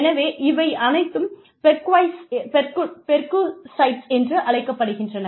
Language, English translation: Tamil, So, all of these are called perquisites